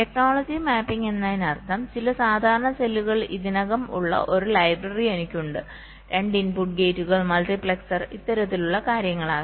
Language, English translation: Malayalam, technology mapping means i have a library where some standard cells are already present, may be two input gates, multiplexers, this kind of things